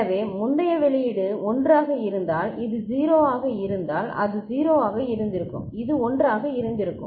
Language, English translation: Tamil, So, if the previous output was 1 and this is 0 and it would have been 0 and this would have been 1